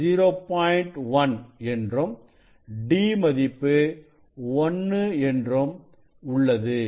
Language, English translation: Tamil, 1 and d value is 0